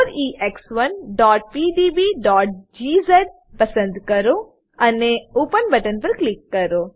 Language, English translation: Gujarati, Select 4EX1.pdb.gz file and click on open button